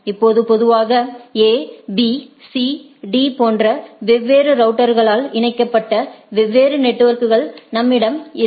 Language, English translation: Tamil, Now, so if we have a is typically a scenario like this where there are different networks connected by different routers A B C D like that